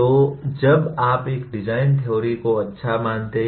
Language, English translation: Hindi, So when do you consider a design theory is good